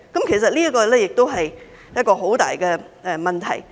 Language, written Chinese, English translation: Cantonese, 其實，這也是一個很大的問題。, In fact this is also a major problem